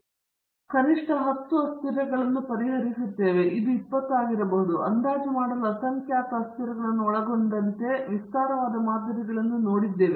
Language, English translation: Kannada, But here it looks like, we are going to solve at least 10 variables, it may even be 20, I have seen very elaborate models involving a large number of variables to estimate